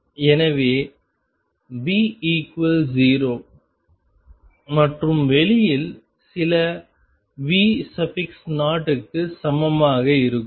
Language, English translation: Tamil, So, V equals 0 and being equal to sum V 0 outside